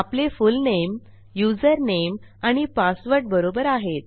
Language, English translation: Marathi, My fullname, username and password are fine